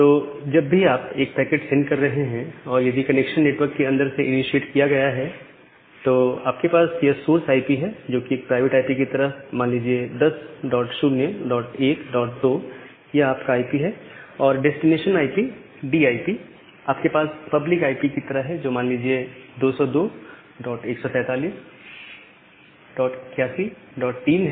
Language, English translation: Hindi, Now, whenever you are sending the packet if the connection is initiated from inside, then you have the source IP as a private IP, say 10 dot 0 dot 1 dot 2 and destination IP as a public IP say 202 dot 141 dot 81 dot 3